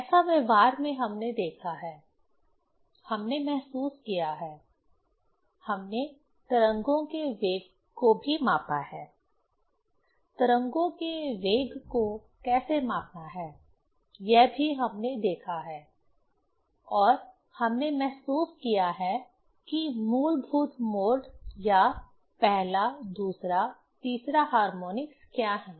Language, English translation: Hindi, That in practice we have seen, we have realized, also we have measured the velocity of waves; how to measure the velocity of waves that also, we have seen and we have realized that what are the fundamental mode or 1st, 2nd, third harmonics, right